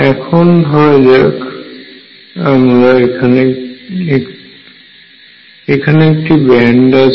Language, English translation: Bengali, So, suppose I have a band here